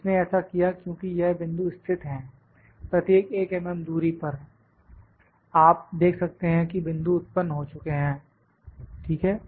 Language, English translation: Hindi, It has because these points are located, at each 1 mm distance, you can see the points are generated, ok